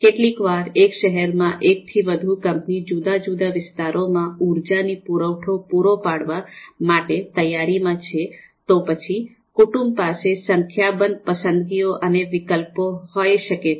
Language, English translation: Gujarati, So in a particular city if there are more number of companies which are willing to provide energy supplies to different localities of the you know city, then the households will have a number of choices, a number of alternatives